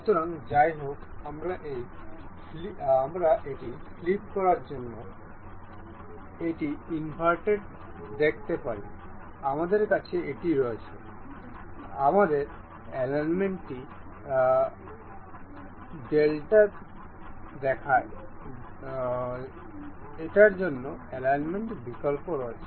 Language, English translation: Bengali, So however, we can see this inverted to flip this, we have this we have option to alignment to invert the alignment